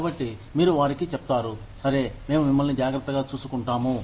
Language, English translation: Telugu, So, you tell them that, okay, we will take care of you